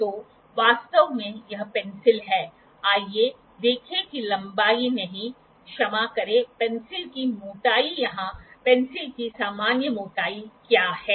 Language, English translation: Hindi, So, actually this is the pencil let us see not length sorry the thickness of the pencil what is the general thickness of the pencil here